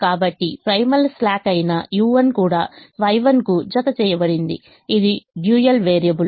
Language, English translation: Telugu, so also u one, which is a primal slack, is mapped to y one, which is the dual variable